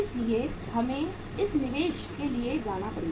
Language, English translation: Hindi, So uh we will have to go for this investment